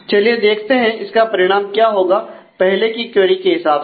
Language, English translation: Hindi, So, let us see what is a consequence of that; in terms of the earlier query